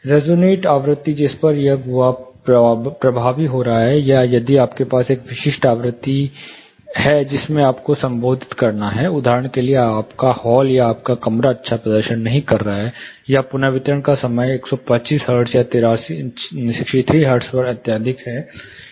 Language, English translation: Hindi, (Refer Slide Time: 14:46) The resonate frequency for example, at which frequency this cavity is going to be effective, or if you have a specific frequency in which you have to address; say for example, your hall or your room is not performing well, or the reverberation time is excessively high at 125 hertz, or 63 hertz